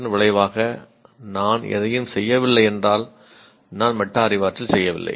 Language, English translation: Tamil, If I'm not doing anything a consequence of that, then I am not performing metacognition